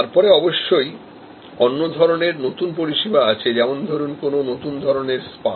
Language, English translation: Bengali, Then of course, there are batch type of new services, like a new type of spa